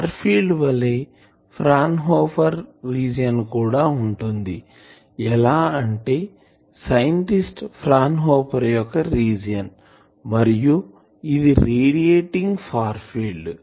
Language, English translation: Telugu, Like far field this is also called Fraunhofer region, against the scientist Fraunhofer or radiating far field